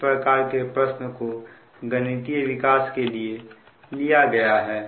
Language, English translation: Hindi, we will find this kind of problem has been taken as an mathematical development